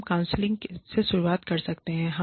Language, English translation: Hindi, We could start with counselling